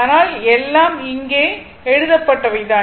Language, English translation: Tamil, That is what is written here, right